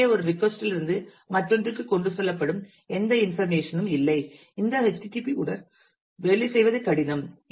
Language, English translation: Tamil, So, there is no information that is carried from one request to the other which makes http difficult to work with